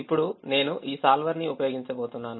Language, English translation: Telugu, no, i am going to use this solver